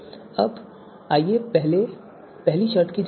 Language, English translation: Hindi, So let us first check the you know first condition